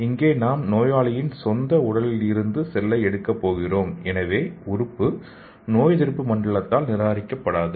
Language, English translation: Tamil, So here we are going to take the cell from the patient’s own body so there wont be any immune rejection of the organ